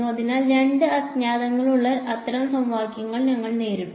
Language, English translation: Malayalam, So, we have encountered such equations where there are two unknowns